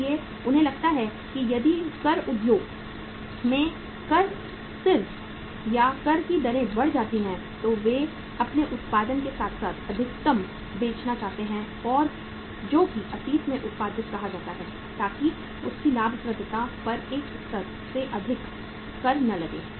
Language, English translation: Hindi, So they feel that if the tax level or the tax rates go up in that industry so they would like to sell maximum with their production which is say produced in the past so that their profitability is not taxed beyond a level